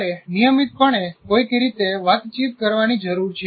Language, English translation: Gujarati, You have to constantly somehow communicate